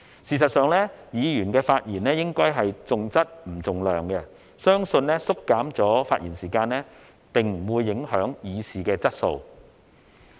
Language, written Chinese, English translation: Cantonese, 事實上，議員的發言應該重質不重量，相信縮減發言時間並不會影響議事的質素。, Actually Members should focus on the quality and not quantity of their speeches . I believe shortening the speaking time will not affect the quality of the council in handling its business